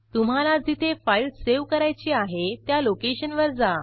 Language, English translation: Marathi, Browse the location where you want to save the file